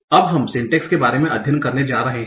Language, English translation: Hindi, So now, so what are we going to study in syntax